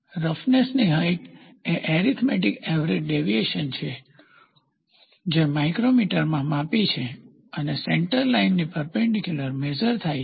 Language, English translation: Gujarati, Roughness height is the arithmetic average deviation expressed in micrometers and measured perpendicularity centre line